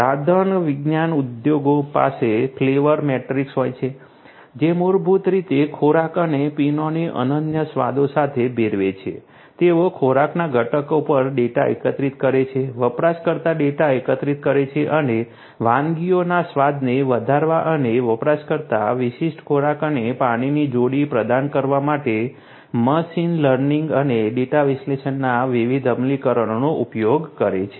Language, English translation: Gujarati, Culinary science industries has the flavor matrix which basically infuses foods and beverages with unique flavors, they collect data on the food ingredients, collect user data and uses different implementations of machine learning and data analysis to enhance the flavor of dishes and provide user specific food and beveraging pairing